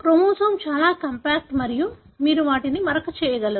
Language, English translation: Telugu, The chromosome that is very, very compact and you are able to stain them